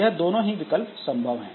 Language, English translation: Hindi, So, both of them are possible again